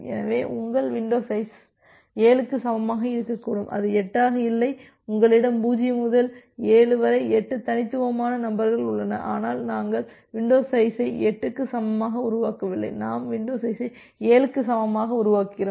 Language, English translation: Tamil, So, your window size can be equal to 7 and it is not 8 so, you have 8 distinct sequence numbers here from 0 to 7, but we are not making window size equal to 8 rather we are making window size equal to 7